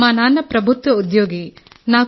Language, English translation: Telugu, My father is a government employee, sir